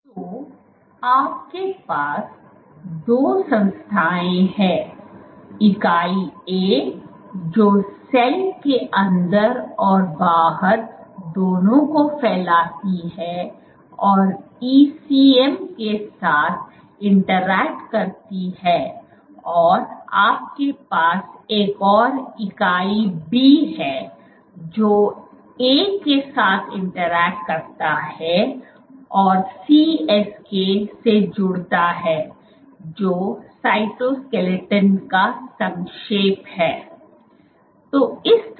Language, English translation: Hindi, So, you have two entities entity A which span both the inside and the outside of the cell and interacts with the ECM and you have another entity B which interact with A and connects to the CSK is short for cytoskeleton